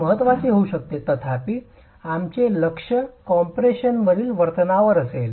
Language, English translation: Marathi, However, our focus is going to be on the behavior in compression